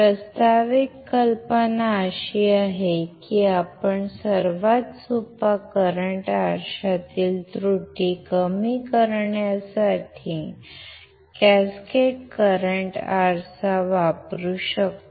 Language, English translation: Marathi, The proposed idea is that we can use we can use a cascaded current mirror, to reduce the errors in the simplest current mirror